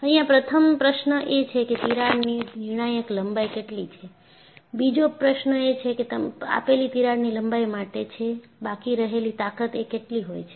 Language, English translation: Gujarati, So, the first question is, what is the critical length of a crack the second question is for a given crack length, what is the residual strength